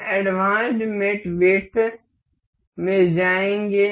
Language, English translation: Hindi, We will go to advanced mate width